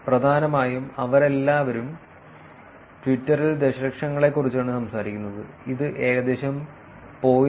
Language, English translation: Malayalam, Essentially all of them are talking about in millions in Twitter it’s about 0